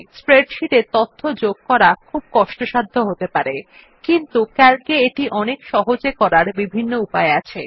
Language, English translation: Bengali, Entering data into a spreadsheet can be very labor intensive, but Calc provides several tools for making it considerably easier